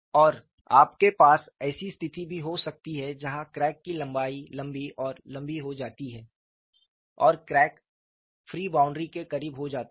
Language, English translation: Hindi, And you could also have a situation, where the crack length becomes longer and longer and the crack becomes closer to the free boundary